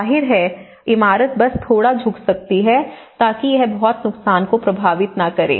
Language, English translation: Hindi, Obviously, the building can only you know tilt a bit, so that it will not affect much damage